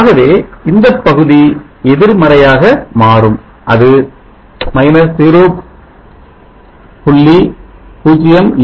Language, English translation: Tamil, To this portion will become negative it is 0